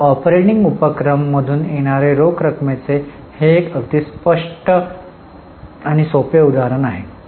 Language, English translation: Marathi, So, this is a very clear cut and very simple example of cash inflow from operating activities